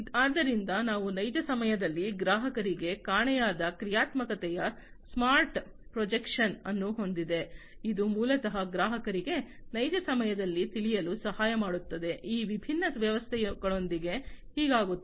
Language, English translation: Kannada, So, they have smart projection of missing functionalities to customers in real time, which basically helps the customers to know in real time, what is happening with these different systems